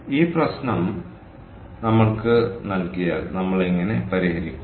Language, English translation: Malayalam, so if we are given this problem, how do we solve